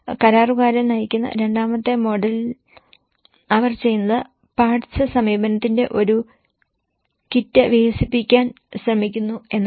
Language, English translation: Malayalam, In the second model of the contractor driven what they do is they try to develop a kit of parts approach